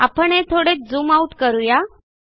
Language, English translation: Marathi, I just zoomed it out a little bit